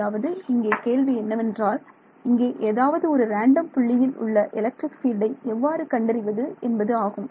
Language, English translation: Tamil, So, you want to find out the question is to find out the electric field at some random point inside here like this